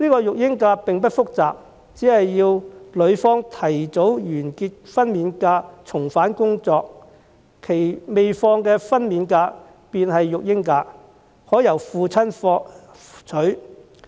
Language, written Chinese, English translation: Cantonese, 育嬰假並不複雜，只要女方提早完結分娩假重返工作，其未放取的分娩假便會成為育嬰假，可由父親放取。, Parental leave is not a complicated concept . As long as the wife ends her maternity leave earlier and returns to work her untaken maternity leave will become parental leave which can be taken by the husband